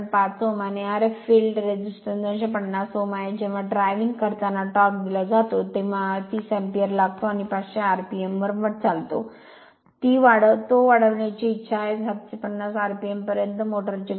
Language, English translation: Marathi, 5 Ohm and R f field resistance 250 Ohm, when driving a load the torque of which is constant takes torque is given constant takes 30 ampere and runs at 500 rpm, it is desired to raise the speed of the motor to 750 rpm